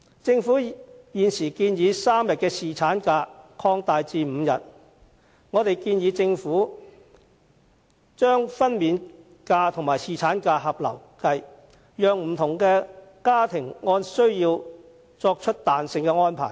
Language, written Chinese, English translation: Cantonese, 政府現時建議把3天的侍產假延長至5天，我們更建議政府把分娩假與侍產假合併，讓不同家庭按需要作出彈性安排。, As regards the Governments present proposal of increasing the paternity leave from three days to five days we propose that the maternity leave and paternity leave should be combined to enable different households to make flexible arrangements according to their needs